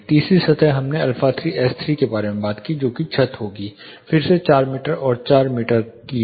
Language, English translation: Hindi, The third surface we talked about alpha3 S3 that would be the ceiling again it is 4 meter by 4 meters